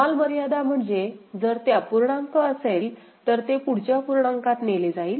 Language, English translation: Marathi, Ceiling means, if it is a fraction, it will be taken to the next higher integer ok